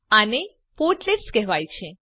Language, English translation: Gujarati, These are called portlets